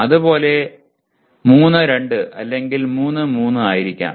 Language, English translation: Malayalam, Similarly, this will be 3, 2 or this will be 3, 3 and so on okay